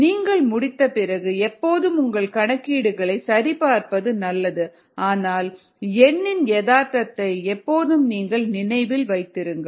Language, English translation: Tamil, its always good to check your calculations ah after you finish, but always keep the reality of the number that you get in mind